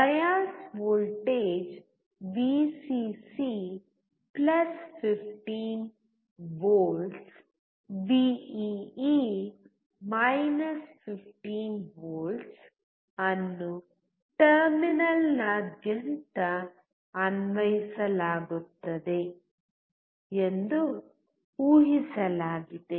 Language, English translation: Kannada, It is assumed that a bias voltage Vcc(+15V) Vee is applied across the terminal